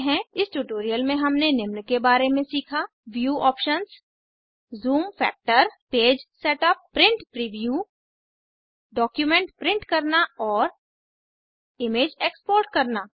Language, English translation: Hindi, In this tutorial we have learnt about View options Zoom factor Page setup Print Preview Print a document and Export an image